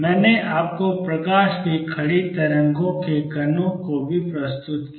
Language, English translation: Hindi, I also presented to you of particles from standing waves of light